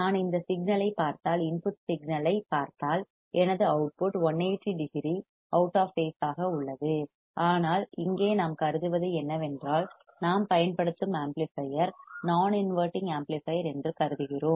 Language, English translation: Tamil, If I see this signal and if I see the input signal my output is 180 degree out of phase, but here what we have considered we have considered that the amplifier that we are using is a non inverting amplifier